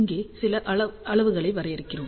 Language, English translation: Tamil, So, we define certain quantities over here